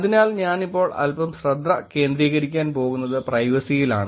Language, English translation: Malayalam, So, what I am going to focus now little bit is on privacy